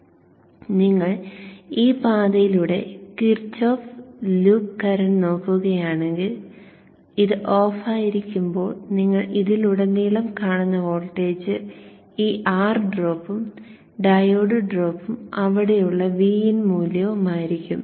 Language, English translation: Malayalam, So if you look at the Kirchav's loop along this, along this path, the Kirchav's loop, you will see the voltage that you see across this when this is off is this R drop, diode drop and the VIN value there